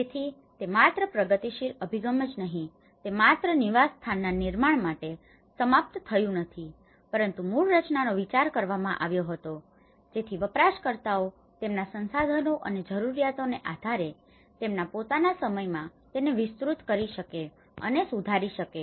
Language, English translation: Gujarati, So, it did not just only this progressive approach it did not ended only with construction of the dwelling but the original design was conceived so that it can be extended and improved by the users in their own time depending on their resources and needs